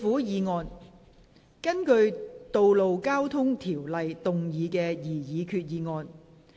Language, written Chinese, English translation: Cantonese, 根據《道路交通條例》動議的擬議決議案。, Proposed resolution under the Road Traffic Ordinance